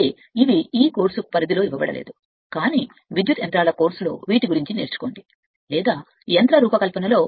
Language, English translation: Telugu, But these are given the scope for this course, but we learn in electrical machines or in machine design right